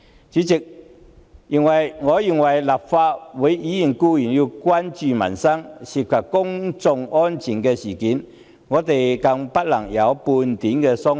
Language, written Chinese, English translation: Cantonese, 主席，我認為立法會議員固然要關注民生，對於關乎公眾安全的事件更不能有半點鬆懈。, President Legislative Council Members should definitely be concerned about peoples livelihood in particular matters concerning public safety